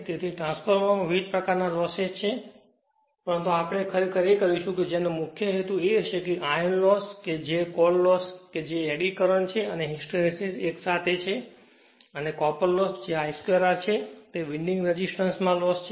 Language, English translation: Gujarati, Now, Losses and Efficiency; so, in a transformer different types of losses are there, but what we will do actually we will come our main concern will be that iron loss that is core loss that is eddy current and hysteresis are together and the copper loss that is the I square R loss in the winding resistance right